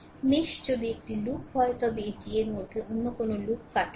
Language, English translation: Bengali, If mesh is a loop it does not cut any other loop within it right